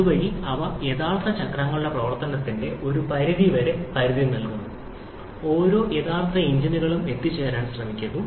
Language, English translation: Malayalam, Thereby, they provide somewhat upper limit of operation of the actual cycles, which each of the actual engines try to reach